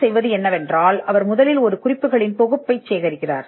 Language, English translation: Tamil, Now the what what the searcher would do is he will first collect a set of references